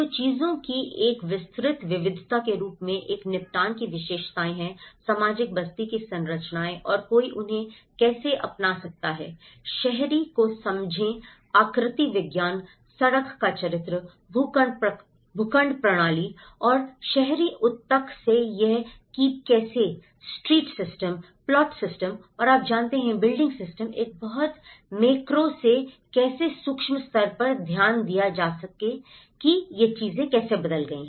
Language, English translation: Hindi, So, as a wide variety of things, one is the characteristics of the settlement, the social structures of the settlement and how one can adopt to them, understand the urban morphology, the street character, the plot systems and how this funnel of from urban tissue, street system, the plot system and you know, the building systems, how from a very macro to the micro level has been looked into how these things have changed